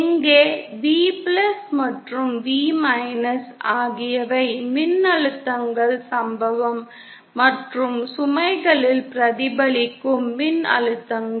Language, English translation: Tamil, Where say, V+ and V are the voltages are the incident and reflected voltages at the load